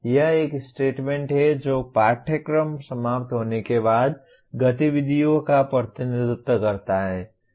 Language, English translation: Hindi, This is a statement that represents activities after the course is finished